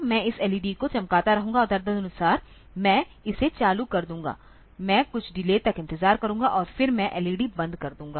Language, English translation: Hindi, I will be I will be glowing this LED on I will be glowing this LED on and accordingly I will be turning it on I will wait for some delay then I will be turning the LED